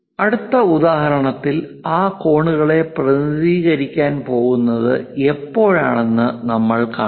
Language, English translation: Malayalam, In the next example, we will see when we are going to represents those angles